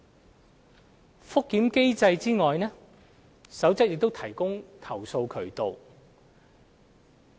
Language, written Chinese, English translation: Cantonese, 除覆檢機制外，《守則》亦提供投訴渠道。, Besides the review mechanism the Code has also put in place a proper channel for complaints